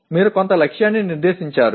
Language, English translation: Telugu, You set some target